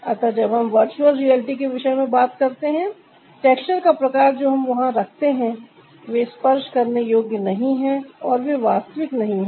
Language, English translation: Hindi, so when we talk about the ah virtual reality, the kind of texture that we put there, they are not touchable, they are not tangible